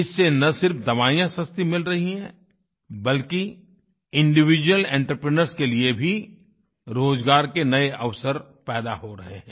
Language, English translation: Hindi, This has led to not only availability of cheaper medicines, but also new employment opportunities for individual entrepreneurs